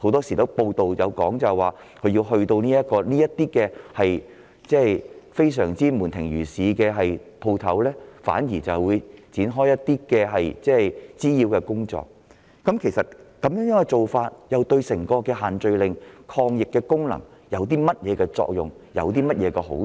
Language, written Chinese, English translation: Cantonese, 根據報道，有關部門往往會在這些食肆門庭若市時到場展開滋擾性的執法工作，試問這做法對限聚令的抗疫功能有何作用和好處？, It was reported that the relevant departments would often go to take law enforcement actions and create a nuisance at these catering outlets when they were crowded with customers and I wonder what benefits can this bring to the anti - epidemic effect of the social gathering restrictions